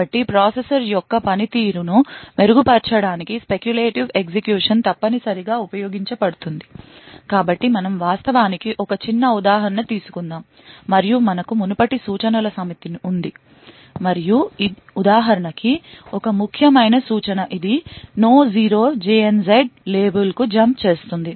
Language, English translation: Telugu, So speculative execution is used essentially to improve the performance of the processor, so let us actually take a small example and we have a set of instructions as before and one important instruction that is important for this example is this this is a jump on no 0 to a label